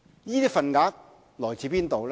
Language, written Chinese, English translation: Cantonese, 這些份額來自哪裏？, Where does such business come from?